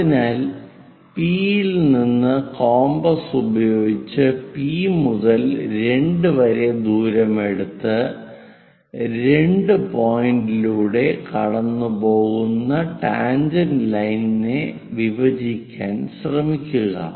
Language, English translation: Malayalam, So, P to 2 prime distance whatever it is there use that distance using compass from P try to intersect the line tangent which is passing through 2 point